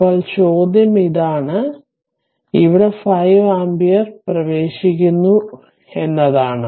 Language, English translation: Malayalam, This is this this 5 ampere will circulate like this